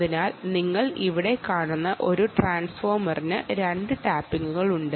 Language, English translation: Malayalam, ok, so this transformer that you see here has two ah tappings